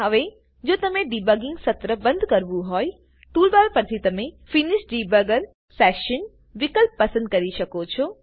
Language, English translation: Gujarati, Now if you want to stop the debugging session, you can choose the Finish Debugger Session option from the toolbar